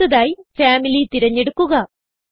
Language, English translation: Malayalam, Next lets select Family